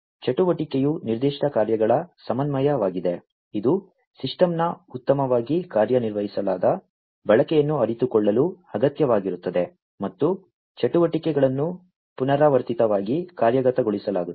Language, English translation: Kannada, Activity is the coordination of specific tasks, that are required to realize a well defined usage of a system and activities are executed repeatedly